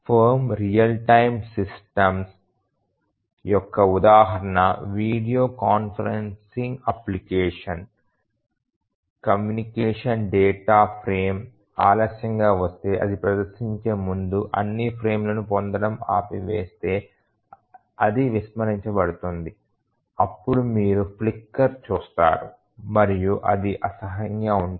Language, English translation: Telugu, A video conferencing application, if a communication data frame arrives late then that is simply ignored, if it stops for getting all the frames before it displays then you will see flicker and it will be unpleasant